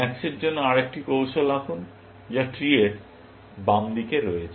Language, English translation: Bengali, Let us draw another strategy for max, which is on this left side of the tree